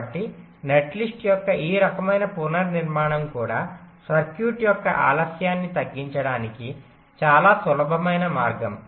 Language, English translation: Telugu, so this kind of restricting of netlist is also a very simple way to reduce the delay of a circuit